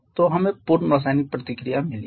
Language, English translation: Hindi, So, you have got the chemical composition of the product